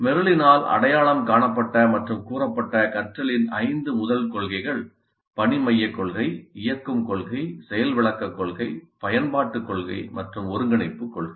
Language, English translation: Tamil, So the five first principles of learning as identified and stated by Merrill, task centered principle, activation principle, demonstration principle, application principle, integration principle, integration principle